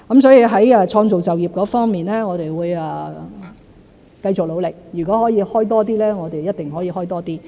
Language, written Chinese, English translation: Cantonese, 在創造就業方面，我們會繼續努力，如果可以開多些職位，我們一定會開多些。, With regard to job creation we will continue to work hard on this . If we can provide more jobs we will definitely go ahead with it